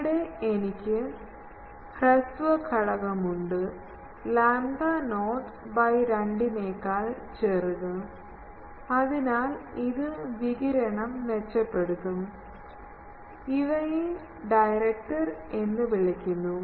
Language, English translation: Malayalam, And here I have a shorter element, shorter than lambda not by 2, so this one will improve the radiation, these are called directors